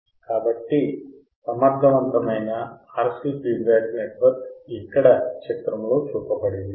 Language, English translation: Telugu, So, the effective RC feedback network is shown in figure here right